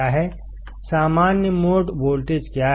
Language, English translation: Hindi, What is common mode voltage